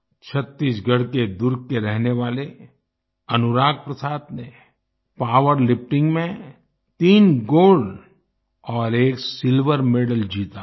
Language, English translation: Hindi, Anurag Prasad, resident of Durg Chhattisgarh, has won 3 Gold and 1 Silver medal in power lifting